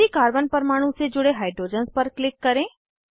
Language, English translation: Hindi, Click on the hydrogens attached to the same carbon atom